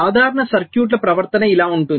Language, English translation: Telugu, so the behavior of typical circuits is like this